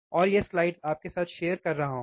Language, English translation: Hindi, And I am sharing this slides with you